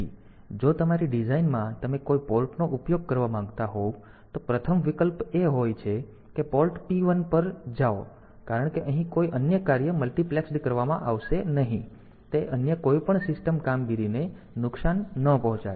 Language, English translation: Gujarati, So, if in your design if you want to use some port, the first option is to go for the port P 1 because it here no other function will be multiplexed; so, it should not harm any other system operation